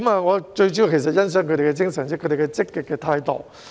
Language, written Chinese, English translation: Cantonese, 我最主要想說的是，我欣賞他們的精神和積極態度。, I really want to express my appreciation for their spirit and proactive attitude